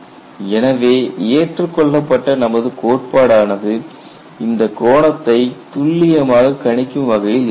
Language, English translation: Tamil, So, my theory should be able to predict this angle precisely